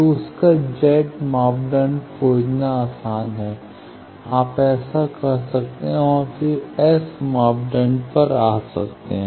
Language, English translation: Hindi, So, their Z parameter finding is easier you can do that and then come to S parameter